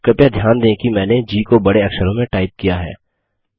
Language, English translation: Hindi, Please notice that I have typed G in capital letter